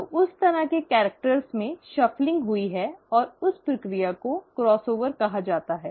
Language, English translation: Hindi, So that kind of a shuffling of characters have happened, and that process is called as the cross over